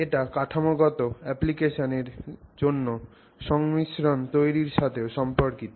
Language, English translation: Bengali, You will also see it associated with creating composites for structural applications